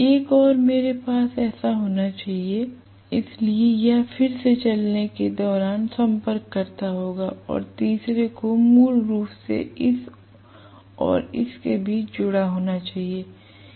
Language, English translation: Hindi, One more I should have like this, so this will be again running contactor and the third one has to be connected basically between this and this right